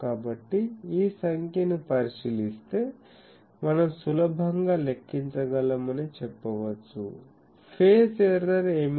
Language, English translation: Telugu, So, looking into this figure we can say that we can easily calculate, what is the phase error